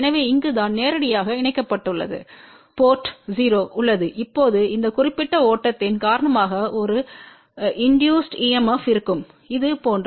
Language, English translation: Tamil, So, this is where the directly coupled port is there , now because of this particular flow there will be an induced EMF which will be like this